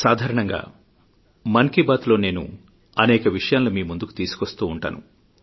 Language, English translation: Telugu, My dear countrymen, generally speaking, I touch upon varied subjects in Mann ki Baat